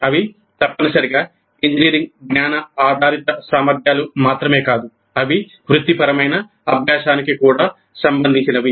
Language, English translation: Telugu, They are not necessarily only engineering knowledge based competencies, but they are also related to the professional practice